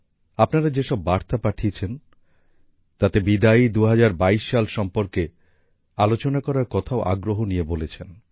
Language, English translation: Bengali, In the messages sent by you, you have also urged to speak about the departing 2022